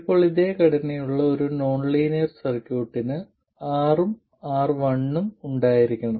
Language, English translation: Malayalam, Now, a linear circuit with the same structure is to have R and R1